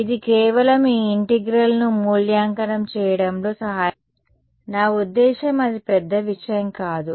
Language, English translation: Telugu, It just helps in evaluating these integrals ok; I mean it’s not a big deal